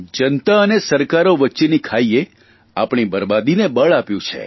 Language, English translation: Gujarati, The chasm between the governments and the people leads to ruin